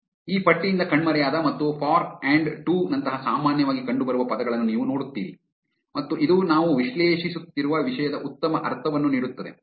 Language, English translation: Kannada, So, you see the most commonly appearing words like the, and, for and to have disappeared from this list and this gives us a better sense of the content that we are analyzing